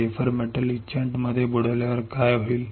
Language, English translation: Marathi, On dipping the wafer in metal etchant what will happen